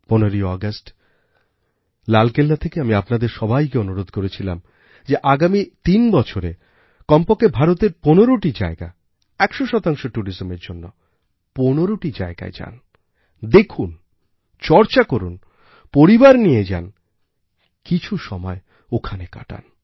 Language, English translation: Bengali, On 15th August, I urged all of you from the ramparts of the Red Fort to visit at least 15 places within a span of the next 3 years, 15 places within India and for 100% tourism, visit these 15 sites